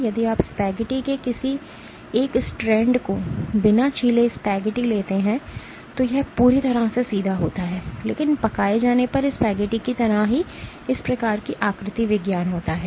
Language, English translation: Hindi, If you take a single strand of spaghetti uncooked spaghetti it is completely straight, but the same spaghetti when cooked would kind of have this kind of morphology